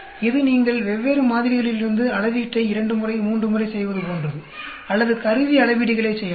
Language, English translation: Tamil, It is more like you may just do the assay twice, thrice, from different samples or you may make instrument measurements